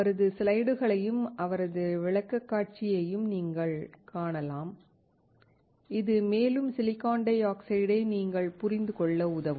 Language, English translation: Tamil, You can also see his slides and his presentation which will also help you to understand further silicon dioxide